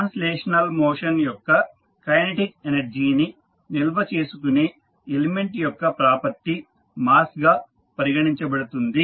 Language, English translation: Telugu, Mass is considered a property of an element that stores the kinetic energy of translational motion